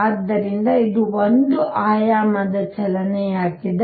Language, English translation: Kannada, So, this is still one dimensional motion